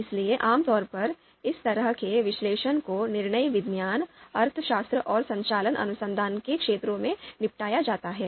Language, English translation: Hindi, So typically, this kind of analysis is dealt in the fields of decision science, economics and operations research